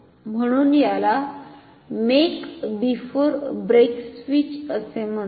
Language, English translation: Marathi, So, this is called a make before break switch ok